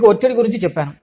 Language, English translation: Telugu, I told you about, stress